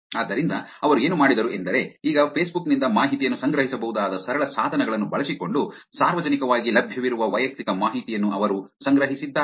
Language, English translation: Kannada, So, what they did was they collected publicly available personal information using simple tools you could actually collect now information from Facebook